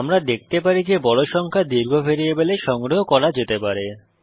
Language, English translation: Bengali, The value has been printed We can see that large numbers can be stored in a long variable